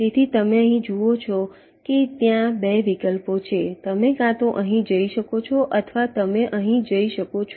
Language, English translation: Gujarati, so here you see that there are two alternatives: you can either go here or you go here